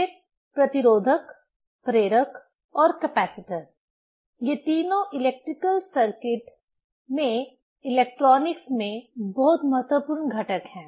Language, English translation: Hindi, Then the resistor, inductor and capacitor: these three are very important components in electronics, in electrical circuit right